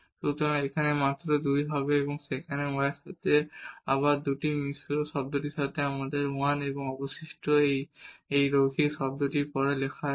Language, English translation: Bengali, So, here will be just 2 and there with respect to y it will be again two there with the mix term we will have 1 and then the remainder which is written after this linear term